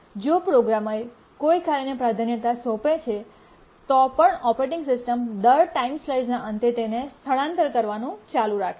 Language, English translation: Gujarati, Even if the programmer assigns a priority to a task, the operating system keeps on shifting it the end of every time slice